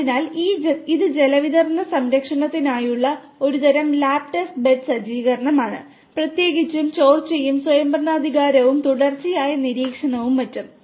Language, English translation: Malayalam, So, this is a kind of lab test bed setup for water distribution monitoring particularly with respect to leakage and autonomous and continuous monitoring and so on